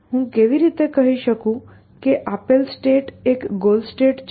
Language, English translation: Gujarati, How do I say that a given state is a goal state